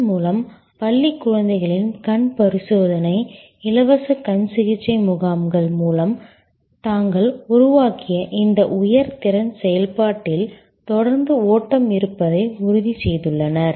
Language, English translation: Tamil, And thereby through this eye screening of school children, free eye camps they have ensured that there is a continuous flow into this high capacity process which they had created